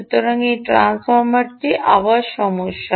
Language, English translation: Bengali, so this transformer, again is the issue